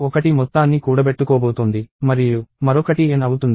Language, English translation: Telugu, So, one is going to accumulate the sum and another is going to be n itself